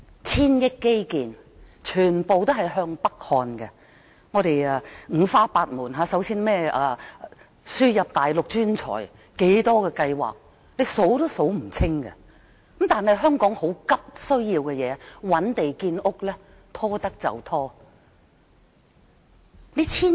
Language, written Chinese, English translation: Cantonese, 千億元基建全向北看，五花八門，更有輸入內地專才等計劃，多不勝數，但香港急切需要覓地建屋卻不斷拖延。, These projects are of all kinds and some programmes are for importing Mainland professionals . There are so many such programmes that you just cannot name them all . But Hong Kong is in urgent need to find land for housing construction and the Government has been stalling on this